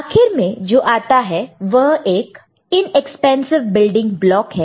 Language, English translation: Hindi, And, what comes at the end this inexpensive building block